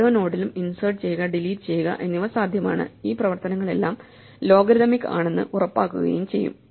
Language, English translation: Malayalam, So, it is possible while doing insert and delete to maintain balance at every node and ensure that all these operations are logarithmic